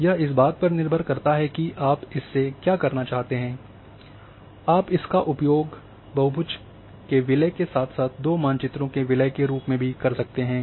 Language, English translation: Hindi, So it depends on for what you are this can be used as a merging of polygons as well, merging of two maps